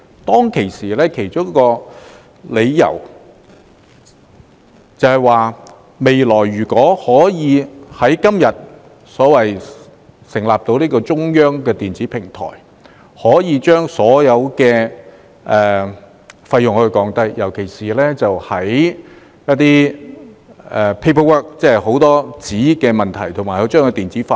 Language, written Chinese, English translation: Cantonese, 當時的其中一個理由是，未來如果可以成立今天所說的中央電子平台，便能夠降低所有費用，尤其是減少紙張費用。, At that time one of the reasons was that in the future when a centralized electronic platform which is under our discussion today could be set up all kinds of fees in particular the fee on paper would be reduced